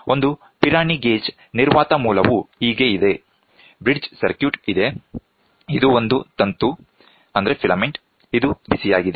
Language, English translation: Kannada, So, this is how a Pirani gauge a vacuum source there, a bridge circuit is there, this is a filament which is heated